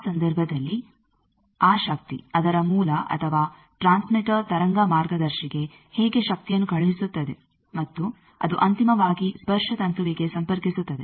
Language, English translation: Kannada, In that case how that power, the source of that or the transmitter that sends the power to a wave guide and that finally, connects to an antenna